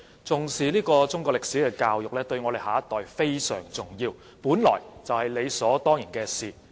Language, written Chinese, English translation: Cantonese, 重視中國歷史教育，對我們的下一代非常重要，本來就是理所當然的事。, Attaching importance to Chinese history education is vital for our next generation which is essentially right and proper